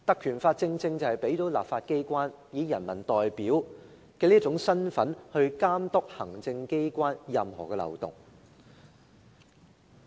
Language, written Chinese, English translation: Cantonese, 《條例》正正賦予立法機構以人民代表的身份監督行政機關的任何漏洞。, The Ordinance empowers the legislature to be the representative of the people to monitor the executive authorities for any loopholes in their practices